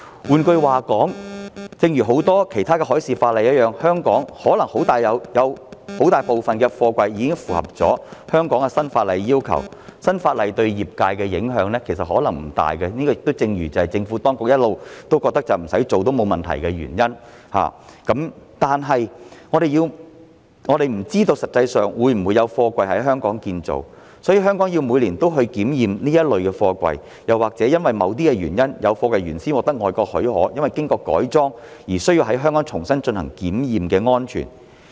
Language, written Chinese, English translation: Cantonese, 換言之，正如很多其他海事法例一樣，香港可能有很大部分的貨櫃已符合本港新法例的要求，其實新法例對業界的影響可能不大，這亦正是政府當局一直認為不處理也沒有大問題的原因，但我們不知道實際上會否有貨櫃在香港建造，所以香港每年也要檢驗這一類貨櫃，又或者因為某些原因，有貨櫃原先獲得外國發給批准，因經過改裝而需要在香港重新進行安全檢驗。, In other words just as in the case of many other maritime laws a large proportion of containers in Hong Kong may already meet the requirements of the new local legislation so the impact of the new legislation on the industry may not be significant . This is also exactly why the Administration has always considered that there is no big problem doing nothing about it . However we do not know if any containers will actually be manufactured in Hong Kong and thus need to be examined locally every year or if some containers with respect to which approvals have originally been issued in foreign countries have been modified for certain reasons and thus need to be re - examined for safety in Hong Kong